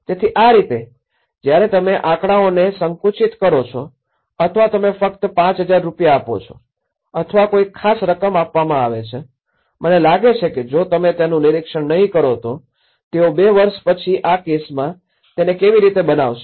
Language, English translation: Gujarati, So, that is how, when you narrow down to numericals or you narrow down only to the 5000 rupees or a particular amount to be given, I think if you donít monitor it, how they are going to build up and after two years this is the case